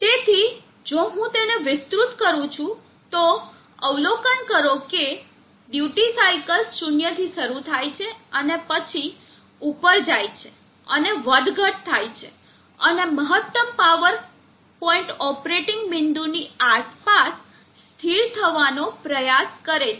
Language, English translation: Gujarati, So if I expand that, so observe that the duty cycles starts from zero and then picks up and tries to oscillate and stabilize around the maximum power point operating point